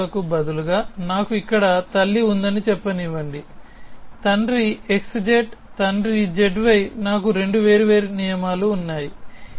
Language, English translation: Telugu, So, let me say instead of parent I have mother here father x z father z y I have 2 separate rules